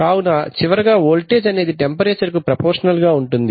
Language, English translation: Telugu, So finally the voltage is proportional to the temperature